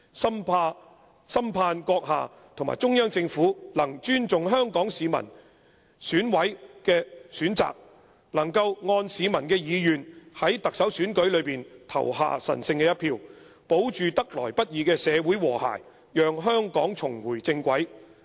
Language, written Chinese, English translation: Cantonese, "深盼閣下和中央政府能尊重香港市民，讓選委能夠按市民意願在特首選舉中投下神聖一票，保住得來不易的社會和諧，讓香港重回正軌。, We truly hope that you and the Central Government will respect the people of Hong Kong and allow EC members to vote for the candidate according to the peoples wish in the upcoming Chief Executive Election so as to maintain the hard - earned social harmony and let Hong Kong return to the right track